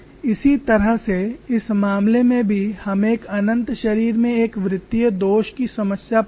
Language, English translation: Hindi, In a similar way in this case we find problem of a circular flaw in an infinite body